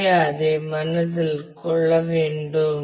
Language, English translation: Tamil, So, that will have to keep in mind